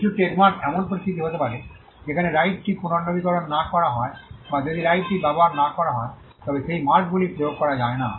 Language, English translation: Bengali, Some of the trademarks can be situations where if the right is not renewed or if the right is not used then that marks cannot be enforced